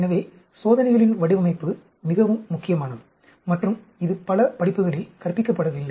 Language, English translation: Tamil, So, design of experiments is very important and it is not taught in many courses